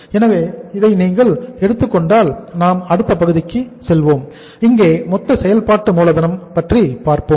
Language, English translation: Tamil, So if you take this and then we will move to next sheet so here the total working capital requirement